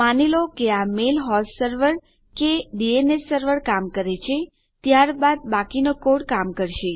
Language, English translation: Gujarati, Presuming this mail host server or DNS server works, then the rest of the code will work